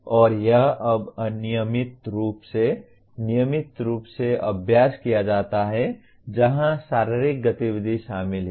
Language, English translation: Hindi, And this is now routinely practiced in case of where physical activity is involved